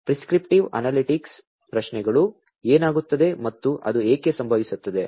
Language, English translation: Kannada, Prescriptive analytics questions, what will happen and why it will happen